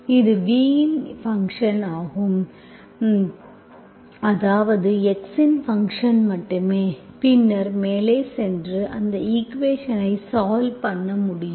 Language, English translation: Tamil, It is function of v, that means function of x only, then you can go ahead and solve that equation